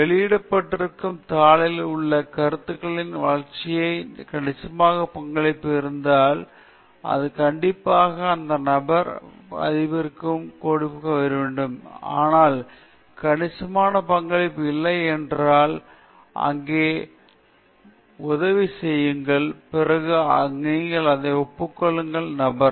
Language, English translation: Tamil, If there is substantial contribution in the development of the ideas involved in the paper, which is published, you should definitely consider giving that person authorship, but if there is no substantial contribution, but only help here and there, then you can just acknowledge that person